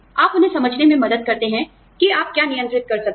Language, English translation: Hindi, You help them understand, what you can control